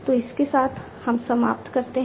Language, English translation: Hindi, So, with this we come to an end